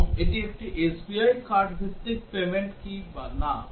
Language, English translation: Bengali, And also whether it is a SBI card based payment or not